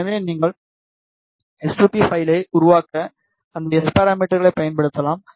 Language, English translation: Tamil, If they do not provide you s2p file, they provide you S parameters